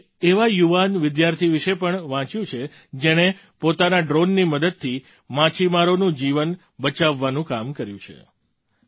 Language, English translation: Gujarati, I have also read about a young student who, with the help of his drone, worked to save the lives of fishermen